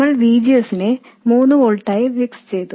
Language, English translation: Malayalam, We fixed VGS to 3 volts